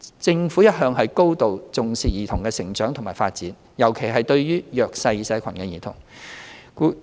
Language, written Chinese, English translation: Cantonese, 政府一向高度重視兒童的成長及發展，尤其是來自弱勢社群的兒童。, The Government has always attached great importance to the growth and development of children particularly those from a disadvantaged background